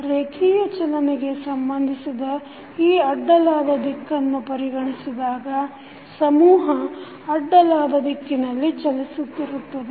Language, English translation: Kannada, The linear motion concerned in this is the horizontal direction, so the mass is moving in the horizontal direction